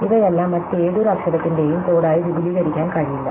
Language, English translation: Malayalam, So, each of these cannot be extended to be the code of any other letter